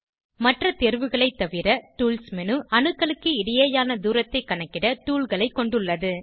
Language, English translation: Tamil, Tools menu has tools to measure distances between atoms, apart from other options